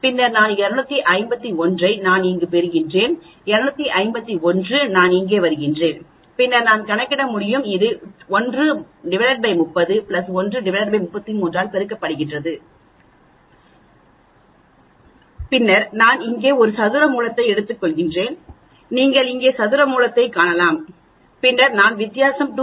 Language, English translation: Tamil, Then I can calculate the 251 is what I am getting here, 251 is what I am getting here and then I that is multiplied by 1 by 30 plus 1 by 33 that is this term here and then I am taking a square root here you can see here square root and then I am doing the difference is 2